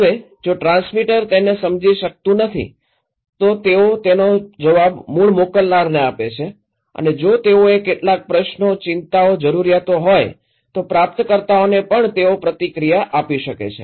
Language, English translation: Gujarati, Now, if the transmitter cannot understand, they feedback this one to the original senders, and also the receivers if they have some questions, concerns, needs, they can also give feedback to the senders